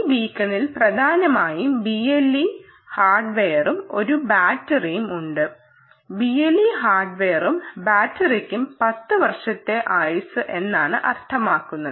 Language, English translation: Malayalam, this beacon essentially has b l e hardware, b l e hardware plus a battery, and when i say b l e hardware and battery, i obviously mean ten year lifetime